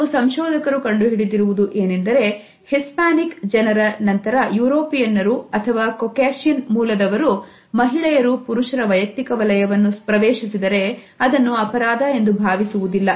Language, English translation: Kannada, Certain researchers have found out that Hispanics followed by Europeans or people of Caucasian origin are least likely to feel that women are invading their personal space